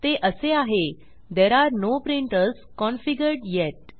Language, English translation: Marathi, It says There are no printers configured yet